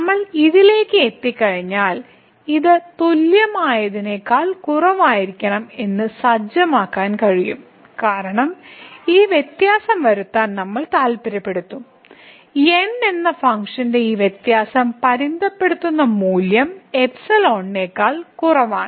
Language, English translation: Malayalam, And once we reach to this delta, then we can set that this must be equal to less than equal to epsilon because we want to make this difference; this difference here of the function minus this limiting value less than epsilon